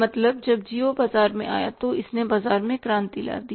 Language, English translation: Hindi, When Reliance geo came in the market it brought a revolution in the market